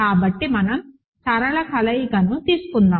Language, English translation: Telugu, So, let us take a linear combination